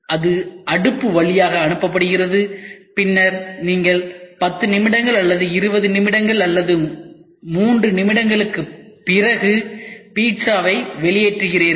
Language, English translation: Tamil, So, it is passed through the oven, and then you get out after 10 minutes or 20 minutes or 3 minutes you get a pizza right